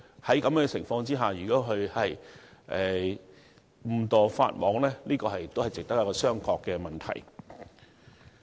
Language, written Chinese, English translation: Cantonese, 在這種情況下，如果送遞公司誤陷法網，就是一個值得商榷的問題。, It would be a contentious issue for the delivery to constitute an offence under such circumstances